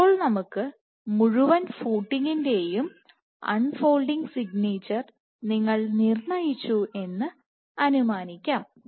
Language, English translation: Malayalam, Now let us assume so, you have determined the unfolding signature for all the entire footing